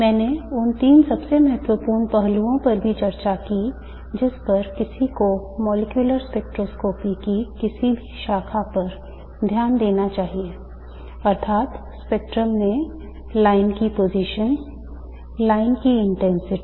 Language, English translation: Hindi, I also discussed the three most important aspects that one should pay attention to in any branch of molecular spectroscopy, namely the line positions in a spectrum, the line intensities in the spectrum and also the line widths